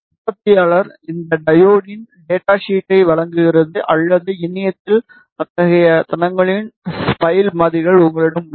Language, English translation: Tamil, The manufacturer provides the data sheet of this diode or you have spice models of such devices available on internet